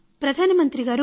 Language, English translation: Telugu, Prime Minister Namaskar